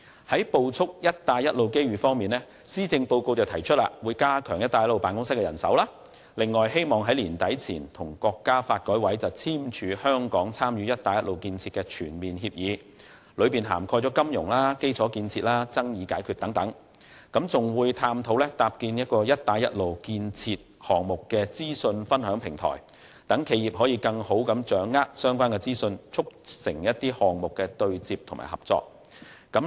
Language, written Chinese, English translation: Cantonese, 在捕捉"一帶一路"機遇方面，施政報告提出加強"一帶一路"辦公室的人手，並希望在年底前與國家發展和改革委員會簽署香港參與"一帶一路"建設的全面協議，當中涵蓋金融、基礎建設和爭議解決等，又會探討搭建"一帶一路"建設項目的資訊分享平台，讓企業更好地掌握相關資訊，促進項目對接和企業合作。, To capitalize on the opportunities brought by the Belt and Road Initiative the Policy Address has proposed to reinforce the manpower for the Belt and Road Office and expressed the wish to enter into an agreement of Hong Kongs full participation in the Belt and Road Initiative with the National Development and Reform Commission NDRC by the end of this year . The agreement will cover various areas such as finance infrastructure and dispute resolution and explore the establishment of an information sharing platform for the Belt and Road projects so that enterprises will have a better grasp of relevant information to facilitate more effective project interfacing and enterprise collaboration